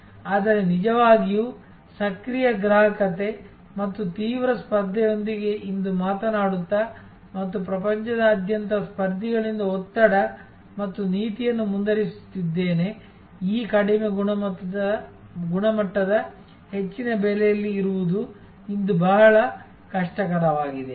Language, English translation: Kannada, But, really speaking today with the kind of active consumerism and intense competition and continues pressure and policy from competitors coming from all over the world, it is very difficult today to be in this low quality high price